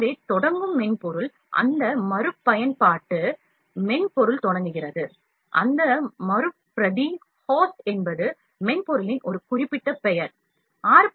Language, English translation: Tamil, So, the software starting on, that repetier software is starting on, that Repetier host is a specific name of the software 6